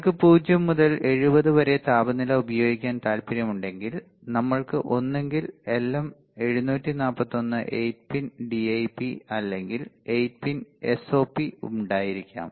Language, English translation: Malayalam, So, if you want to use temperature from 0 to 70 we can either have LM 741 8 pin DIP or 8 pin SOP, while if you want to go from minus 40 to 85 degree, we have to go for 8 pin DIP LM 741